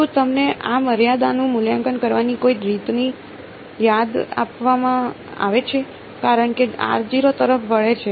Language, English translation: Gujarati, Is there some does are you reminded of some way of evaluating this limit as r tends to 0